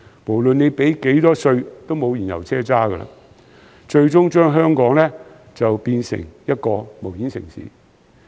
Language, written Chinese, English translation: Cantonese, 無論繳交多少稅，都再沒有燃油車，最終將香港變成一個無煙城市。, No matter how much duty one is ready to pay there will be no more fuel - propelled cars and Hong Kong will eventually become a smoke - free city